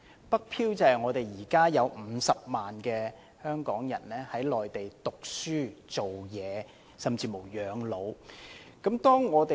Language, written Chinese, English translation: Cantonese, "北漂"是指現時有50萬名香港人在內地讀書、工作甚至養老。, The term northward drifters refers to the 500 000 Hong Kong people currently studying working or even spending their twilight years on the Mainland